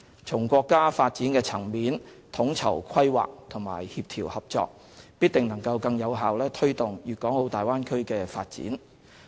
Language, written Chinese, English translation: Cantonese, 從國家發展層面統籌規劃和協調合作，必定能更有效推動粵港澳大灣區的發展。, The coordination and collaboration at the national development level will definitely be more effective in promoting the development of the Guangdong - Hong Kong - Macao Bay Area